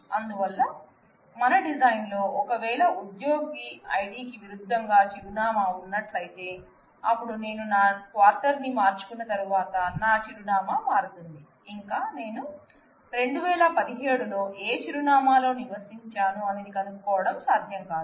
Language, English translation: Telugu, So, in our design if there is against my employee id there is an address given, then once I change my quarter my address will change it will not be possible to recollect, what address I resided in say 2017